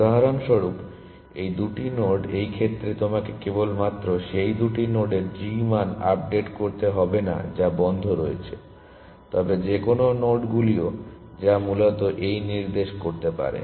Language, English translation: Bengali, So, for example, these two nodes, in which case not only you have to update the g values of those two nodes which are on closed, but also any nodes which might be pointing to this essentially